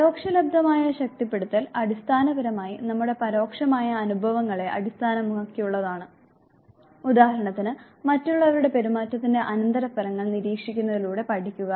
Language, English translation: Malayalam, Vicarious reinforcement they are basically based on our vicarious experiences, for example, learning through observation of consequences of others behavior